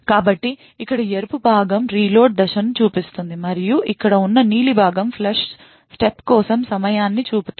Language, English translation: Telugu, So the red part over here shows the reload step, and the blue part over here shows the time for the flush step